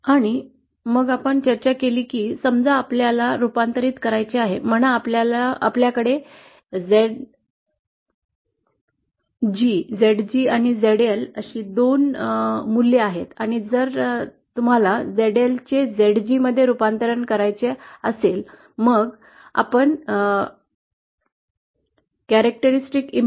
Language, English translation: Marathi, And then we also discussed that suppose we want to convert, say we, say we have two values ZG and ZL and if you want to convert ZL to ZG; then we choose a quarter wave length, quarter wave transformer having characteristic impedance Z 0 given by ZG upon ZL